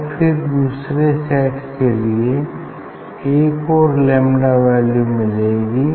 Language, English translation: Hindi, and then for second set we will get another lambda